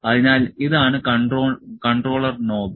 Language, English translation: Malayalam, So, this is the controller knob